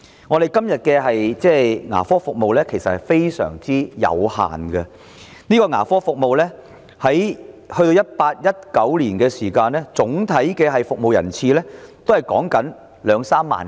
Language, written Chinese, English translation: Cantonese, 我們現時的牙科服務非常有限，在 2018-2019 年度，接受政府牙科服務的人次只有兩三萬。, Dental services are provided to a very limited extent at present . The number of attendance of government dental services is only 20 000 to 30 000 in 2018 - 2019